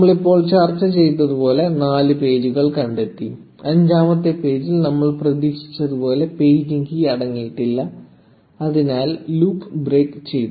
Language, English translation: Malayalam, So, there you go, we found four pages as we just discussed, and the fifth page did not contain any paging key as we expected which made the while loop break